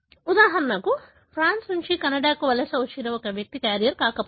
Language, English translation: Telugu, For example, the person who migrated from France to Canada may not be a carrier